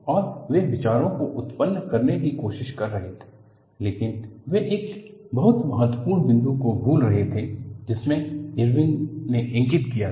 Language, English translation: Hindi, And, they were trying to generate ideas, but they were missing a very important point; which was pointed out by Irwin